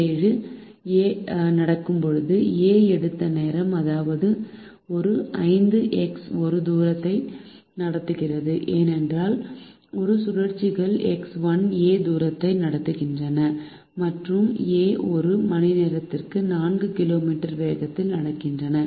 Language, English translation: Tamil, a is the distance of five minus x one, because a cycles a distance x one, a walks a distance five minus x one and a wailks a speed of four kilometer per meter hour